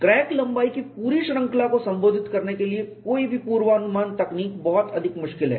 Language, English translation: Hindi, Any predictive technique to address the full range of crack lengths is very very difficult